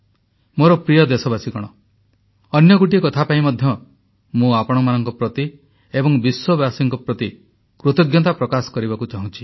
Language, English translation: Odia, My dear countrymen, I must express my gratitude to you and to the people of the world for one more thing